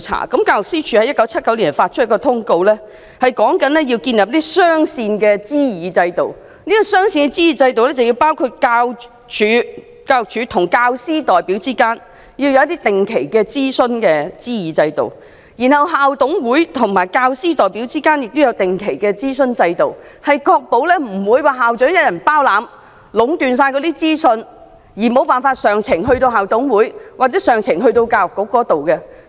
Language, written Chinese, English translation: Cantonese, 教育司署在1979發出一則通告，指出要建立雙線的諮議制度，包括教育署與教師代表之間的定期諮議制度，以及校董會與教師代表之間也有定期的諮議制度，確保不會由校長一人掌管及壟斷所有資訊，以致意見無法上呈至校董會或教育局。, In 1979 the former Education Department issued a circular announcing the establishment of two consultative systems namely a regular consultative system between the former Education Department and teacher representatives and a regular consultative system between IMCs and teacher representatives . The objective was to ensure that no school principal could control and monopolize all information and hinder the submission of views to IMCs or the Education Bureau